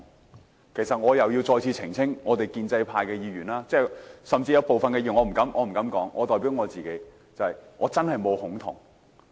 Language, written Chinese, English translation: Cantonese, 我必須再次澄清，我們建制派甚至有部分議員——我不敢說別人，我只代表自己——我真的沒有"恐同"。, I must clarify again that we in the pro - establishment camp or even some Members―Well I am not in a position to speak for other Members and I merely speak for myself―that I am actually not a homophobe